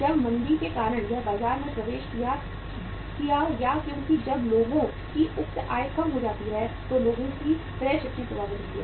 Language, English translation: Hindi, When because of the recession it entered the market or because when the say income of the people go down then the purchasing power of the people is affected